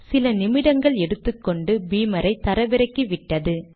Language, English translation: Tamil, It took a few minutes and downloaded Beamer